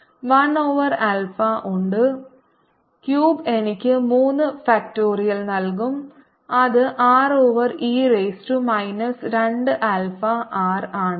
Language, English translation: Malayalam, r cubed will give me three factorial, which is six over e raise to minus two alpha r, so two alpha raise to four minus